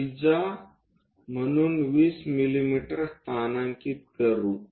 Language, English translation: Marathi, We are going to construct a radius of 20 mm